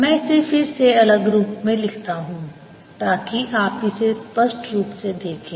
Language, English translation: Hindi, ok, let me write it again in different color so that you see it clearly